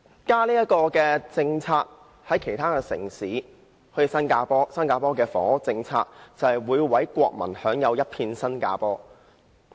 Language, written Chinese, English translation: Cantonese, 家的政策就是房屋政策，新加坡的房屋政策，就是讓每位國民享有一片新加坡。, Policies on families are actually policies on housing . The housing policies of Singapore allow every Singaporean to share a part of Singapore